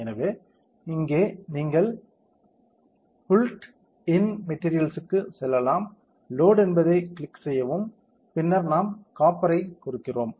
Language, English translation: Tamil, So, in here you can go to built in materials, click it will load and then we give copper